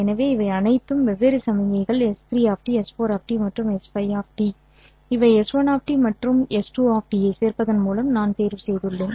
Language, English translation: Tamil, So these are all different signals, S3 of T, S4 of T and S5 of T which I have obtained by simply adding S 1 of T and S2 of T